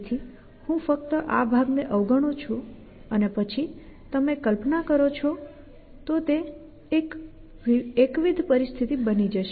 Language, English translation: Gujarati, So, I just ignore this part essentially and then you can see that if you that visualize this become monotonic situation